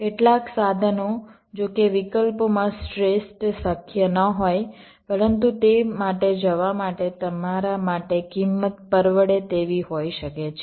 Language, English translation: Gujarati, some of the tools, though, may not be the best possible among the alternatives, but the cost may be affordable for you to go for that